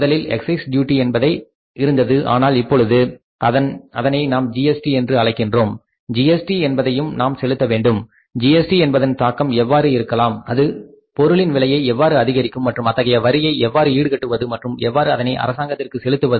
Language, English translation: Tamil, Earlier we had the excise duty but today we call it as GST we have to pay the GST also what is the impact of GST how it would increase the cost and how we have to recover that tax and pay to the government